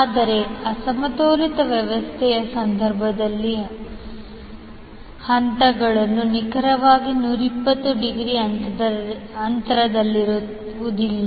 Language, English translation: Kannada, But in case of unbalanced system the phases will not be exactly 120 degree apart